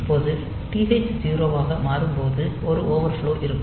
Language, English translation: Tamil, So now, when the TH0 will become there is an overflow